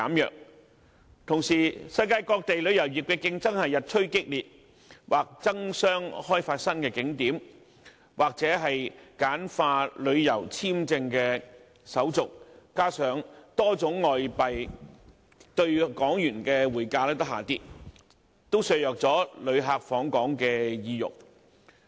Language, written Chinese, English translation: Cantonese, 與此同時，世界旅遊業的競爭日趨激烈，各地或爭相開發新景點，或簡化旅遊簽證手續，加上多種外幣兌港元的匯價下跌，這些因素均削弱了旅客的訪港意欲。, Meanwhile the global tourism industry has become more competitive with different places either opening up new attractions or streamlining tourist visa application procedures . All these factors together with a strong Hong Kong Dollar against many foreign currencies have undermined the desire of visitors to travel to Hong Kong